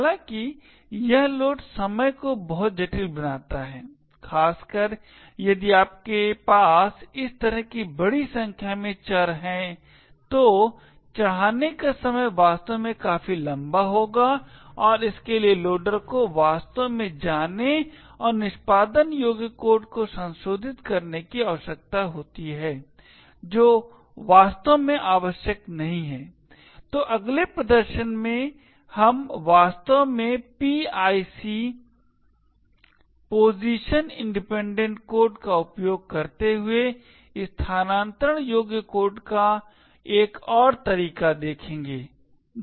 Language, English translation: Hindi, However, it makes a load time extremely complex, especially if you have a large number of such variables then the load time would actually be take quite long and also it requires the loader to actually go and modify executable code which is not what is actually required, so in the next demonstration what we will actually look at is another way of relocatable code using PIC a position independent code